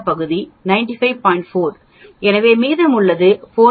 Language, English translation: Tamil, 4, so the remaining is 4